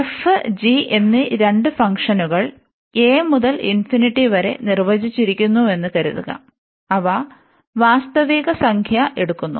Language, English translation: Malayalam, So, here we suppose that this f and g, these are the two functions defined from this a to infinity, and they are taking the real value